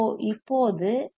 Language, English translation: Tamil, So, what is L 1